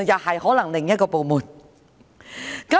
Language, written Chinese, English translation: Cantonese, 可能是另一個部門。, Perhaps some other departments are involved